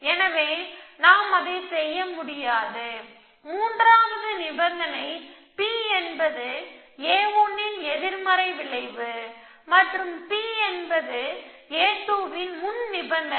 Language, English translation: Tamil, So, we cannot do that, one condition the third condition is the P belongs to effects minus of a 1 and P belongs to precondition a 2